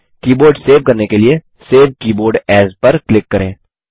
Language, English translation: Hindi, To save the keyboard, click Save Keyboard As